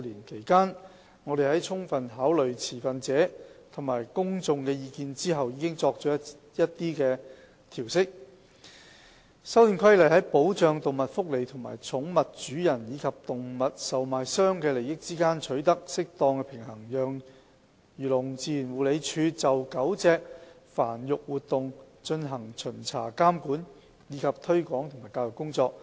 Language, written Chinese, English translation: Cantonese, 其間，我們在充分考慮持份者及公眾的意見後，已作了一些調適，《修訂規例》在保障動物福利和寵物主人及動物售賣商的利益之間取得適當的平衡，讓漁農自然護理署就狗隻繁育活動進行巡查監管，以及推廣及教育工作。, During that period we made certain adjustments after giving due consideration to the views of stakeholders and members of the public . The Amendment Regulation strikes an appropriate balance between the protection of animal welfare and the interests of pet owners and animal traders and enables the Agriculture Fisheries and Conservation Department AFCD to carry out inspection regulation promotion and education work concerning dog breeding activities